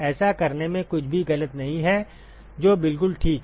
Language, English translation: Hindi, There is nothing wrong in doing that that is perfectly fine